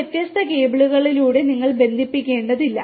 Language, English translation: Malayalam, You do not have to connect through the different cables